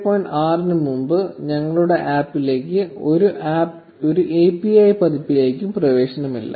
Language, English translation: Malayalam, 6 was released, our APP does not have access to any API version before version 2